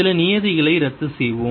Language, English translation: Tamil, lets cancel a few terms